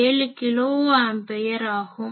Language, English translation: Tamil, 7 kilo ampere